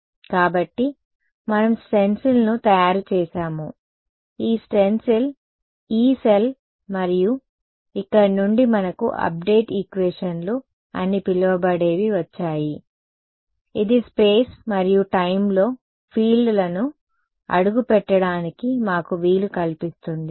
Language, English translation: Telugu, So, we made a stencil right, this stencil was the Yee cell right and from here we got the so, called update equations which allowed us to step the fields in space and time